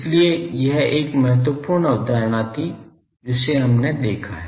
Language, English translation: Hindi, So, this was one important concept we have seen